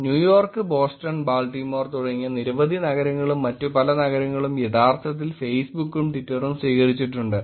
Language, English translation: Malayalam, Police organizations like New York, Boston, Baltimore and many, many other cities have actually adopted Facebook’s and Twitter’s